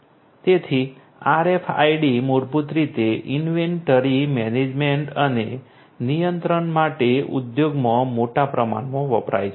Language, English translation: Gujarati, So, RFIDs basically are used heavily in the industry; in the industry for inventory management and control